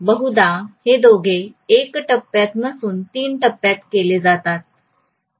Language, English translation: Marathi, Mostly these two are done in 3 phase, not in single phase